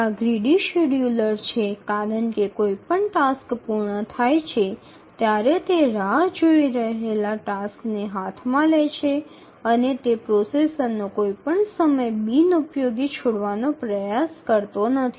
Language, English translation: Gujarati, These are grid schedulers because whenever a task completes it takes up the task that are waiting and it never tries to leave any time the processor onutilized